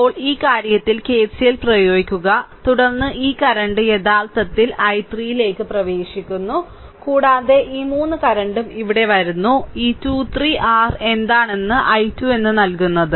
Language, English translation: Malayalam, Now, you apply KCL at this thing, then this current actually entering this i 3, right and this 3 I current also coming here this 2 are entering plus 3 I is equal to your what you call i 2, right